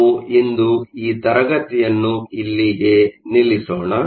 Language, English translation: Kannada, We will stop the class here for today